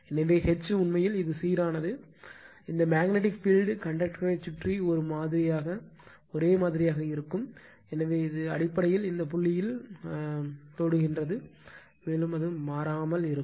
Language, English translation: Tamil, So, then H actually it is uniform this magnetic field is uniform around the conductor, so, it is basically tangential to this point, and it remains constant right